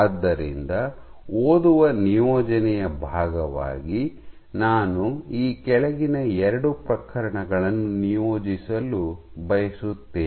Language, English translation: Kannada, So, as part of reading assignment I would like to assign the following two case